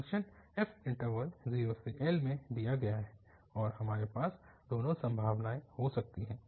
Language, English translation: Hindi, The f is given in the interval 0 to L and we can have both the possibilities